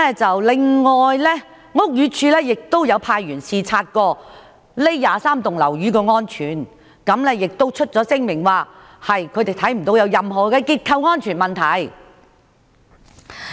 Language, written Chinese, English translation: Cantonese, 此外，屋宇署也有派員視察該23幢樓宇的安全程度，並發出聲明表示看不到有任何結構安全問題。, Hence we need not worry . Besides the Buildings Department sent its officers to inspect the safety level of those 23 buildings and issued a statement indicating that it did not see any structural safety problem